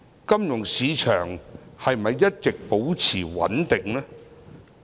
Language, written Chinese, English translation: Cantonese, 金融市場是否一直保持穩定？, Was the financial market consistently stable?